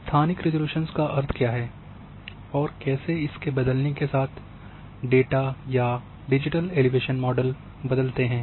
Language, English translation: Hindi, What basically spatial resolution means and when it varies how and appearance in the data or of a digital elevation model may vary